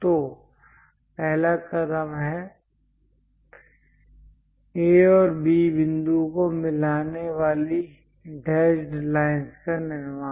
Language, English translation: Hindi, So, first step construct a dashed line joining A and B points